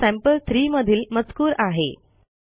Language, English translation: Marathi, This is the content of sample3